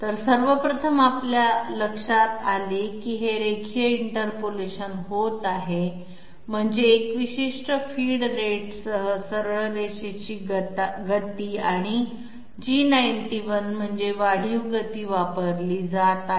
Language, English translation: Marathi, So 1st of all what we notice is that linear interpolation is taking place that means straight line motion with a particular feed rate and G91 means that incremental motion is being carried out